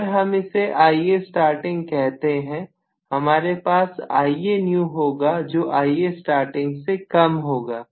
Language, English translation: Hindi, So this, if I call this as Ia starting, I am going to have Ia new less than Ia starting, right